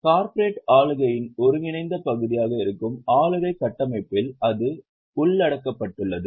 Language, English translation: Tamil, That is covered in the governance structure which is integral part of corporate governance